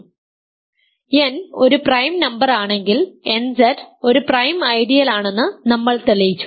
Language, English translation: Malayalam, So, if n is a prime number we have shown that nZ is a prime ideal